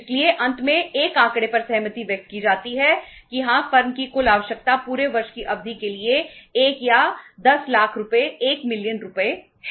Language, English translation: Hindi, So finally mutually a figure is agreed upon that yes the total requirement of the firm is say 1 or 10 lakh rupees, 1 million rupees for a period of whole of the year